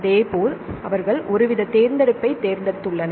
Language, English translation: Tamil, Likewise, they have they select some sort of selectivity